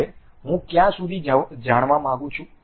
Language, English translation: Gujarati, Now, how far I would like to know